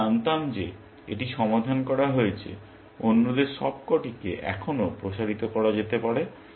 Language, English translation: Bengali, If I knew this was solved, the others may still have to be expanded and all